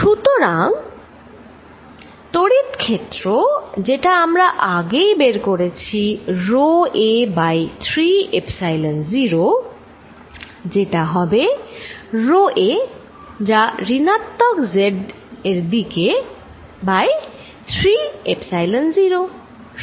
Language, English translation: Bengali, And therefore, the electric field which remember earlier we derived to be rho a over 3 Epsilon 0 is going to be rho a it is in the minus z direction divided by 3 Epsilon 0